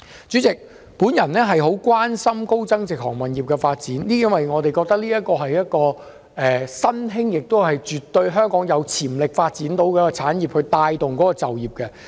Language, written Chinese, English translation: Cantonese, 主席，我十分關心高增值航運業的發展，因為我認為這是一個香港絕對有潛力發展的新興產業，並可以帶動本地就業。, President I am highly concerned about the development of high value - added maritime services a new industry that I think Hong Kong definitely has the potential to develop and it will boost the local employment